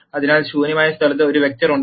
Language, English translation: Malayalam, So, there is one vector in the null space